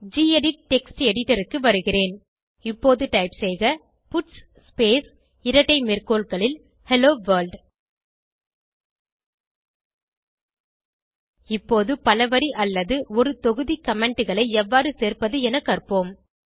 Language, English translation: Tamil, Let me switch to gedit text editor Now, type puts space within double quotes Hello World Lets learn how to add multiple line or block comments